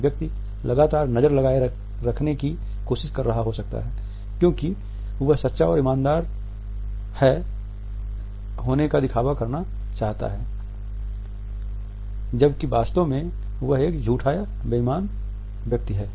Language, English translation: Hindi, A person may be trying to keep the gaze focused because the person wants to come across is it truthful and honest one whereas, in fact, the person is a liar or a dishonest person